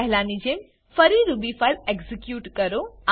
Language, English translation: Gujarati, Next execute the Ruby file again, like before